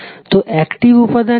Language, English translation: Bengali, So, active element is what